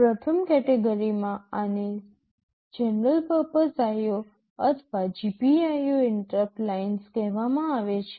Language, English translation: Gujarati, In the first category these are called general purpose IO or GPIO interrupt lines